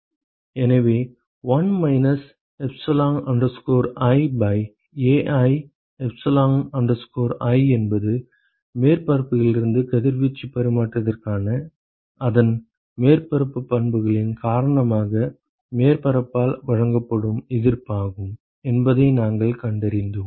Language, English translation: Tamil, So, we identified that 1 minus epsilon i by Ai epsilon i is the resistance offered by the surface because of its surface properties for radiation exchange from that surface ok